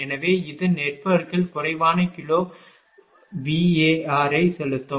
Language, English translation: Tamil, So, it will inject less kilo bar into the network